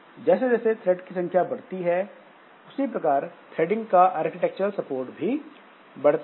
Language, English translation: Hindi, Now, as the number of threads grows, so does the architectural support for threading